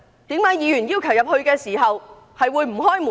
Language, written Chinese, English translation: Cantonese, 為何議員要求進入時不開門？, How come Members were denied entry to the Complex?